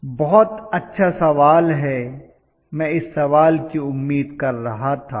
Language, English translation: Hindi, Very good question, I was expecting this question